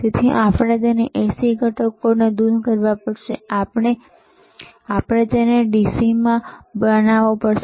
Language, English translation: Gujarati, So, we have to remove the AC component, and we have to make it DC